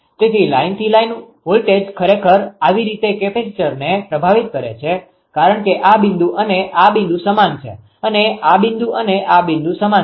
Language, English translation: Gujarati, So, line to line voltage actually impress that is how the capacitor, because this point this point same this point this point same